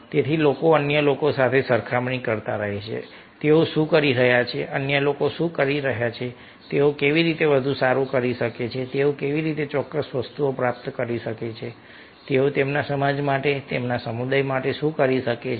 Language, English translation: Gujarati, so people keep comparing with others, what they are doing, what others are doing, how they can do better, how they can achieve certain things, what can they do for the, for their society, for their community